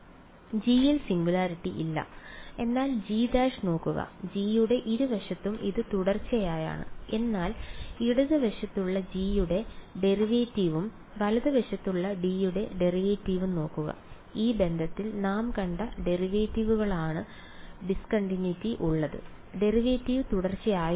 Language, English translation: Malayalam, There is no singularity in G, but look at G prime G on both sides it is continuous, but look at the derivative of G on the left hand side and the derivative of G on the right hand side; the discontinuity is in the derivative right which we sort of saw in this relation, the derivative was discontinuous ok